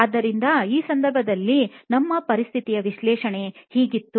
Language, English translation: Kannada, So, in this case this is what our analysis of the situation was